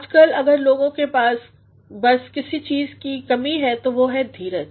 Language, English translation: Hindi, Nowadays, if people are lacking in something, it is patience